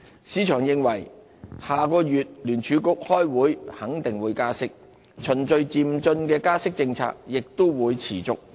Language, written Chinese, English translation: Cantonese, 市場認為下月聯儲局開會肯定會加息，循序漸進加息的政策亦會持續。, The market expects another interest rate uplift from the Federal Reserve at its next months meeting with the approach of gradual interest rate hikes remains unchanged